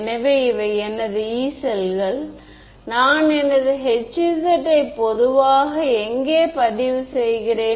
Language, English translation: Tamil, So, these are my Yee cells where do I record H z typically